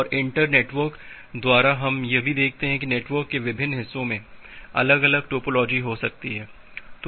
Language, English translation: Hindi, And by internetwork we also look into that different parts of the network may have quitely different topology